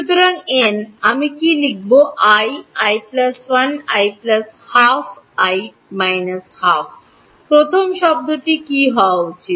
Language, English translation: Bengali, So, E n what should I write i, i plus 1, i plus half i minus half what should be the first term be